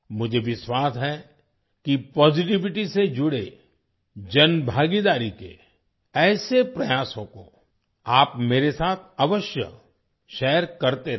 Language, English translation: Hindi, I am of the firm belief that you will keep sharing such efforts of public participation related to positivity with me